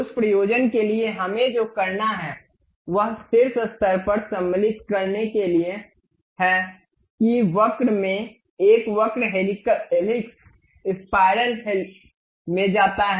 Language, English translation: Hindi, For that purpose what we have to do go to insert on top level there is a curve in that curve go to helix spiral